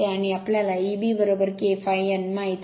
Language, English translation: Marathi, And we know E b is equal to K phi n